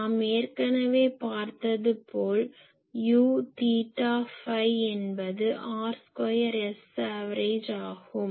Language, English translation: Tamil, So, already we have seen that U theta phi is r square S average